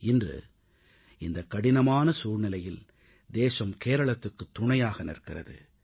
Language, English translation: Tamil, In today's pressing, hard times, the entire Nation is with Kerala